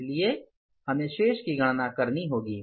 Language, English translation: Hindi, So we have to calculate the balance